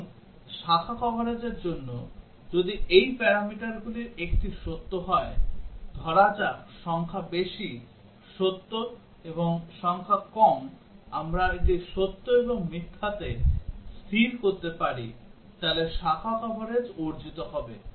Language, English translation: Bengali, Now for branch coverage, if one of these parameters is true, let say digit high is true and digit low we can set it to true and false, then branch coverage will get achieved